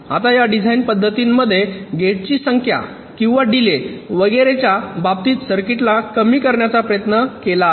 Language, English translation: Marathi, these design methodologies, they try to optimize the circuit in terms of either the number of gates or the delay and so on